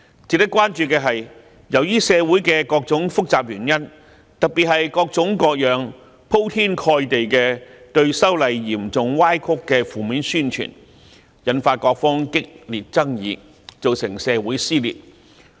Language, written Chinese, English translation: Cantonese, 值得關注的是，由於社會的各種複雜原因，特別是各種各樣、鋪天蓋地對修例嚴重歪曲的負面宣傳，引發各方激烈爭議，造成社會撕裂。, It is worth noting that owing to various complex factors in society particularly different kinds of extensively disseminated negative propaganda containing seriously distorted messages heated controversies have been aroused and society has been torn apart